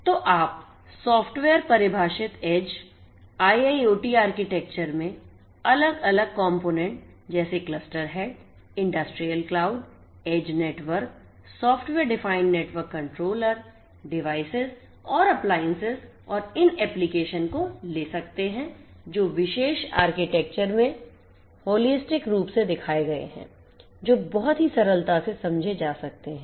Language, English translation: Hindi, So, you are going to have in the software defined edge IIoT architecture different components such as the cluster head, industrial cloud, edge network, software defined network controller, devices and equipments and these applications which holistically has been shown in this particular architecture and this is quite self explanatory so, I do not need to go through each of these different components in further detail